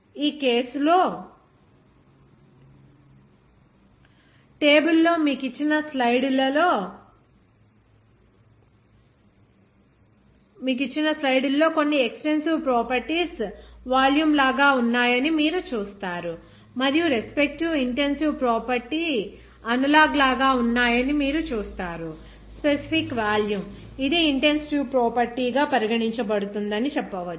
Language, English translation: Telugu, In this case, in the table, the slide that is given you will see that some extensive properties are like volume, and you will see that respective intensive property as an analog you can say that specific volume, it will be regarded as an intensive property